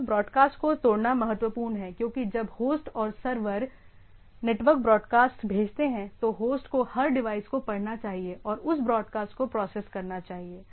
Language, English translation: Hindi, Breaking up the network broadcast is important because when the host and the servers sends network broadcast every device on the must read and process that broadcast right